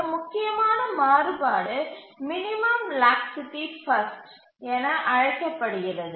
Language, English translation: Tamil, One important variation is called as a minimum laxity first